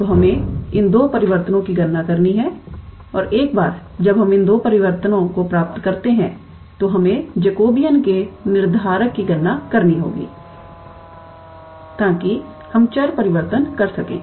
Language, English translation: Hindi, So, we are the one who has to calculate these two transformation and once we get these two transformation, then we have to calculate the Jacobian determinant so, that we can do the change of variable